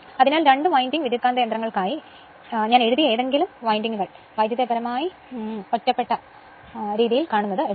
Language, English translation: Malayalam, So, something I have written perhaps right for two winding transformers, the windings are electrically isolated that you have seen right